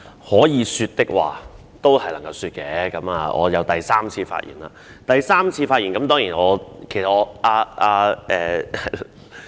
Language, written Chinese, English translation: Cantonese, 可以說的話，總是能夠說的，我已經是第三次發言了。, When we have something to say we can always find the opportunity to do so . I am already speaking for the third time